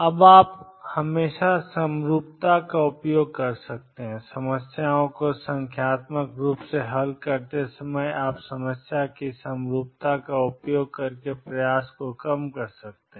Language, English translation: Hindi, Now, you can always make use of the symmetry while solving problems numerically you can reduce the effort by making use of symmetry of the problem